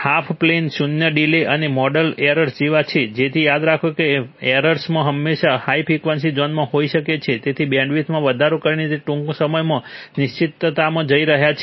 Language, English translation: Gujarati, Half plane zeros are like delays and model errors, so remember that models, model errors are always high in the high frequency zone, so increasing the bandwidth you are going into the uncertain soon